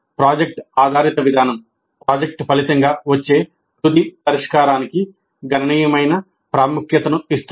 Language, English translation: Telugu, Project based approach attaches significant importance to the final solution resulting from the project